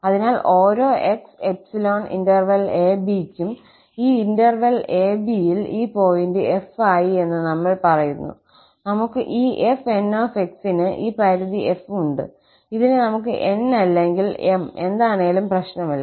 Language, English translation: Malayalam, So, we say that this fn converges pointwise to f on this interval [a, b] if for each x in [a, b], we have this limit f for fn, we can say n or m does not matter